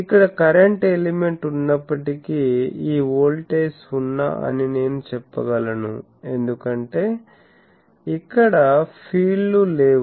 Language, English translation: Telugu, So, I can say that even if there is a current element here this voltage is 0 because no fields here